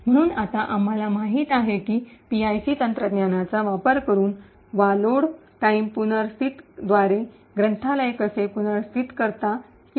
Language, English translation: Marathi, So now that we know how a library can be made relocatable either using the PIC technique or by Load time relocatable